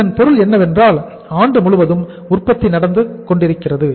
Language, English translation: Tamil, It means all through the year the production is going on